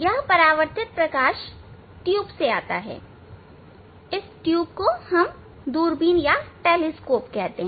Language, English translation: Hindi, this reflected light coming through this tube, though this tube, so this tube is called telescope